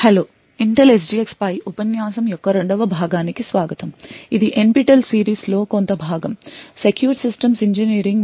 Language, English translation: Telugu, Hello and welcome to the second part of the lecture on Intel SGX this in the course for secure systems engineering just part of the NPTEL series